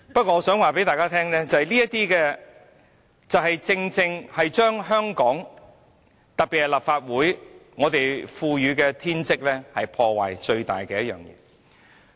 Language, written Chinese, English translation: Cantonese, 我想告訴大家，正正就是這種事情把香港、把立法會賦予我們的天職破壞殆盡。, Please shut up . I wish to tell Members such matters have actually completely undermined the duties given to us by Hong Kong and by the Legislative Council